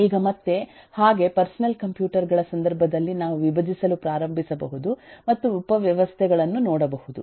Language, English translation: Kannada, now again, like in the case of personal computers, we can start decomposing and look into subsystems